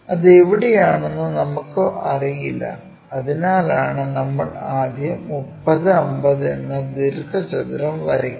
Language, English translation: Malayalam, Where it is present, we do not know because of that reason what we do is first of all draw a rectangle 30 and 50, so make 50